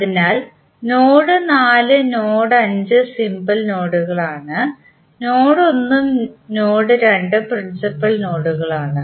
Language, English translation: Malayalam, So node 4, node 5 are the simple nodes while node 1 and node 2 are principal nodes